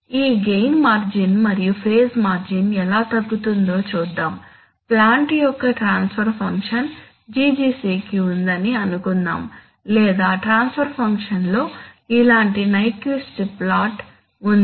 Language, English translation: Telugu, Let us see how this gain margin and phase margin is reduced, imagine that the original plant or not original plant, that the plant, suppose the transfer function GGC has an or rather the transfer function has a Nyquist plot like this okay